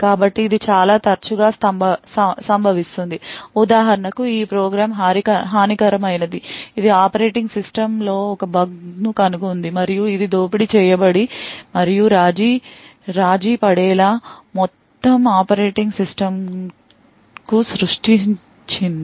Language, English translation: Telugu, So, this occurs quite often what we see is that for example for this program is malicious it has found a bug in the operating system and it has created and exploit and has compromise the entire operating system